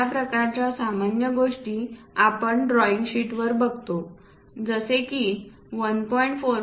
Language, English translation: Marathi, Such kind of thing a common practice we see it on drawing sheets something like 1